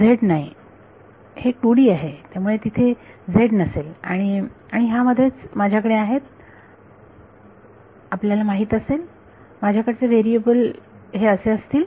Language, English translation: Marathi, Not z its a 2 D there is no z and within this I have you know my variables are like this